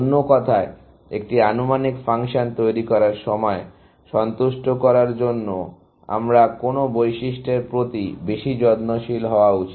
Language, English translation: Bengali, In other words, while devising an estimating function, what property should I take care to satisfy